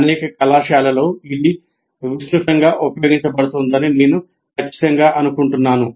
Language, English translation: Telugu, And I'm sure this is what is being used extensively in many of the colleges